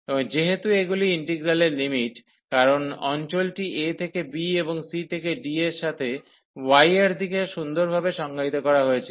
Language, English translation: Bengali, And since the integral limits here, because the region was nicely define from a to b and the c to d in the direction of y